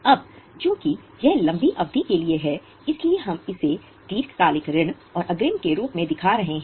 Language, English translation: Hindi, Now, since this is for a longer period, we are showing it as a long term loans and advance